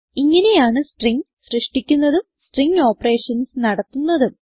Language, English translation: Malayalam, This is how we create strings and perform string operations